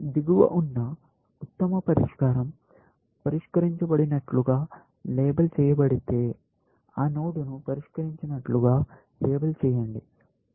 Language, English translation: Telugu, If the best solution below is label solved, then label that node; solved